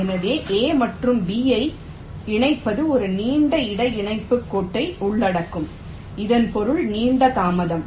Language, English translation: Tamil, ok, so connecting a and b will involve a long inter connection line